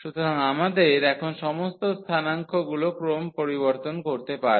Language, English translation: Bengali, So, we have all the coordinates we can change the order now